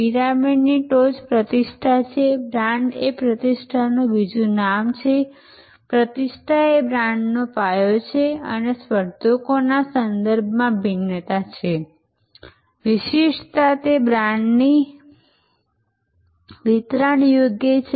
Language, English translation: Gujarati, So, the top of the pyramid is reputation, brand is another name of reputation, reputation to put it another way, reputation is the foundation of brand and differentiation with respect to competitors, distinctiveness is the deliverable of the brand